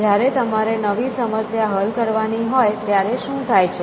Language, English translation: Gujarati, And what happens, when you have a new problem to solve